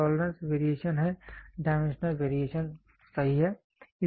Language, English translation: Hindi, Tolerance is the variation, dimensional variation, right